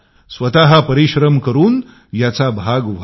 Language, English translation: Marathi, Make your effort to be a part of it